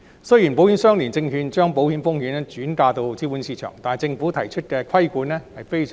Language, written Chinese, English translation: Cantonese, 雖然保險相連證券將保險風險轉移至資本市場，但政府提出的規管非常嚴格。, Though ILS will transfer the insurance risk to the capital market the regulations proposed by the Government is very stringent